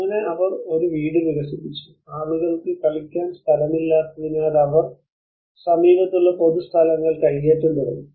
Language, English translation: Malayalam, So then she developed a house, there were no place for people to play around so they have started encroaching the public places nearby